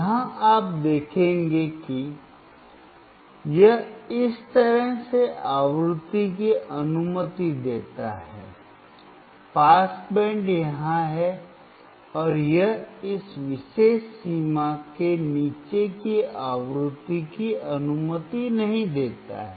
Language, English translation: Hindi, Here you will see that, it allows the frequency from this onwards, the pass band is here and it does not allow the frequency below this particular range